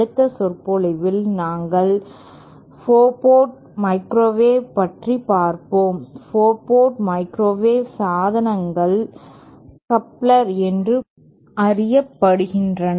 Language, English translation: Tamil, In the next lecture, we shall be covering 4 port microwave devices and 4 port microwave devices are known by the general term of coupler